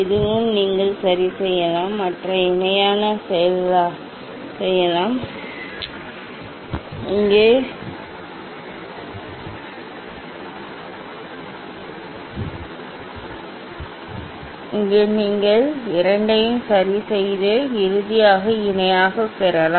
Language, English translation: Tamil, this also you can adjust and make it parallel, here also you adjust this two one to make it finally parallel